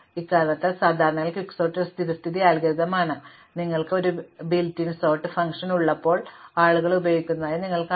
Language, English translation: Malayalam, For this reason, typically Quicksort is the default algorithm that you see that people use when you have a built in sort function